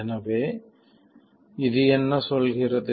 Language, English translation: Tamil, Now what is this saying